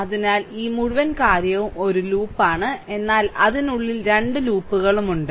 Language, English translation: Malayalam, So, this whole thing is a loop, but within that also 2, this 2 loops are there